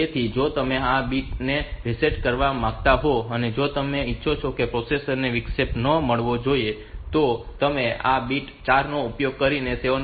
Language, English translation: Gujarati, So, if you want to reset this bit if you if you want that the processor should not get the interrupt then you can reset this 7